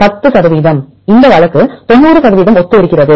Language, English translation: Tamil, 10 percent this case 90 percent are similar